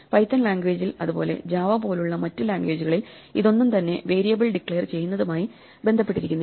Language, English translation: Malayalam, So it turns out that languages like Python, also other languages like JavaÉ this has nothing to do with declaring variables, it has to do with how space is allocated